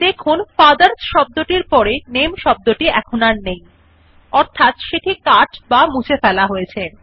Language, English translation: Bengali, Notice that the word NAME is no longer there next to the word FATHERS, which means it has be cut or deleted